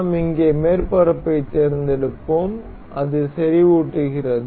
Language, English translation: Tamil, We will select the surface here and it fixes as concentric